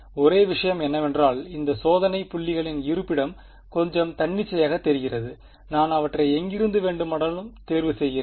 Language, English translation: Tamil, Only thing is that the location of these testing points seems a little arbitrary right, I just pick them anywhere right